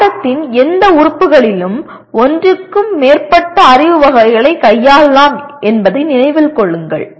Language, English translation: Tamil, Remember that in any element of the course one may be dealing with more than one knowledge category